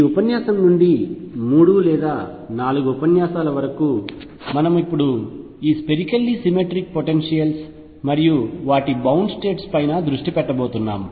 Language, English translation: Telugu, From this lecture onward for 3 or 4 lectures we are now going to concentrate on this Spherically Symmetric Potentials and their bound states